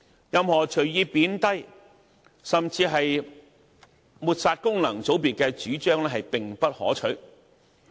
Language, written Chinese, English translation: Cantonese, 任何隨意貶低甚至抹煞功能界別的主張並不可取。, Any views that randomly play down or discredit functional constituencies are unseemly